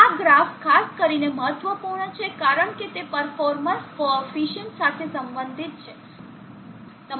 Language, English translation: Gujarati, This graph is especially is important because it relates to the coefficient of the performance